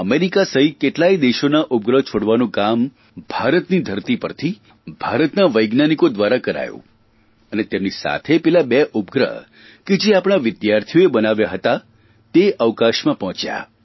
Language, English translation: Gujarati, Along with America, the satellites of many other countries were launched on Indian soil by Indian scientists and along with these, those two satellites made by our students also reached outer space